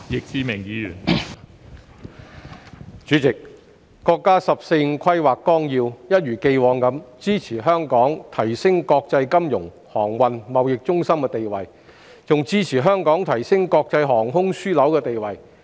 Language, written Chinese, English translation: Cantonese, 代理主席，國家《十四五規劃綱要》一如既往支持香港提升國際金融、航運和貿易中心的地位，亦支持香港提升國際航空樞紐地位。, Deputy President the National 14th Five - Year Plan continues to support Hong Kong to enhance its status as an international financial transportation and trade centre as well as an international aviation hub